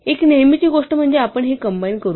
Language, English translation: Marathi, And the usual thing we will do is combine these